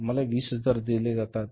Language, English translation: Marathi, We are given 20,000s